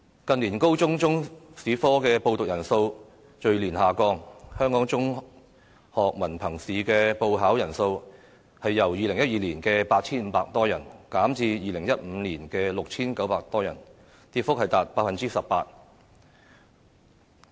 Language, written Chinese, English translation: Cantonese, 近年高中中史科的報讀人數逐年下降，香港中學文憑試的報考人數亦由2012年的 8,500 多人，減至2015年的 6,900 多人，跌幅達 18%。, In recent years the number of students who take Chinese History in senior secondary schools has dropped year after year and the number of candidates who applied to sit for the examination of Chinese History in the Hong Kong Diploma of Secondary Education Examination dropped from some 8 500 in 2012 to some 6 900 in 2015 representing a decrease of 18 %